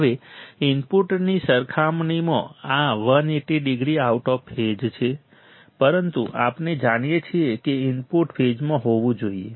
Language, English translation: Gujarati, Now, this is 180 degrees out of phase right compared to the input, but we know that the input should be in phase